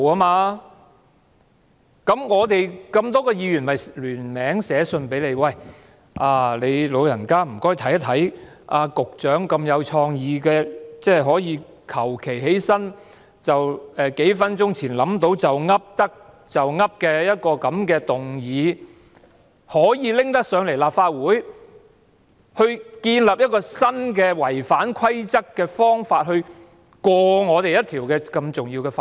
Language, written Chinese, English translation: Cantonese, 於是，我們這麼多位議員便聯署寫信給你，麻煩你"老人家"檢視局長如此具創意，隨便站起來，在數分鐘前才構思好，"噏得就噏"的一項議案，建立一個違反規則的新方法來通過一項如此重要的法案。, That is why so many of us jointly wrote to you asking you to review this creative way of the Secretary who suddenly rose to move a motion that he conceived in a matter of minutes and created a new way which is in violation of the relevant rules to pass such an important bill . President you should have ruled on this . But instead you allowed the motion and made no explanation